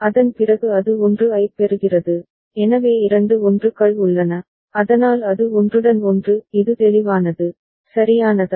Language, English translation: Tamil, After that it is receiving 1, so two 1s are there ok, so as it is overlapping is it clear, right